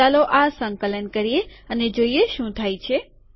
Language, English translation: Gujarati, Lets compile this and see what happens